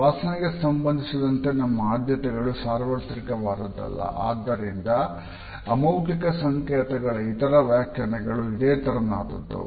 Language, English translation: Kannada, Our preferences in terms of smell are not universal and therefore, similar to other interpretations of non verbal codes